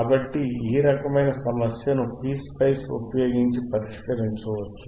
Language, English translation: Telugu, So, if you do this kind of problem, you can solve it using p sPSpice